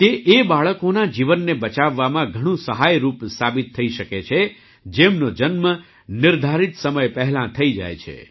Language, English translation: Gujarati, This can prove to be very helpful in saving the lives of babies who are born prematurely